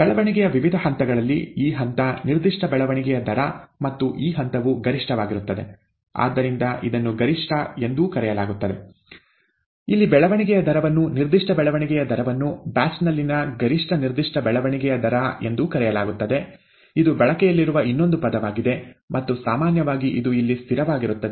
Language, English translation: Kannada, Among the various stages of growth, this phase, the specific growth rate and this phase happens to be the maximum, and therefore this is also called the maximum, the, the growth rate here, the specific growth rate here is also called the maximum specific growth rate in a batch, okay, that is another term that is used, and usually it is a constant here